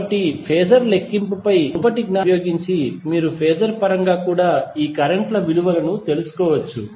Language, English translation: Telugu, So, using your previous knowledge of phasor calculation you can find out the value of these currents in terms of phasor also